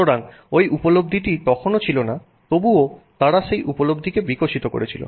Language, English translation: Bengali, So, that understanding was still not there, they were still evolving that understanding